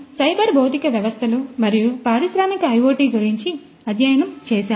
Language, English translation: Telugu, So, we have studied about cyber physical systems and Industrial IoT